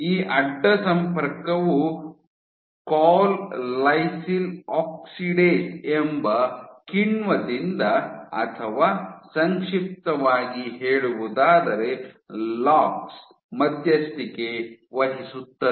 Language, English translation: Kannada, This cross linking was mediated by this enzyme col lysyl oxidase or in short LOX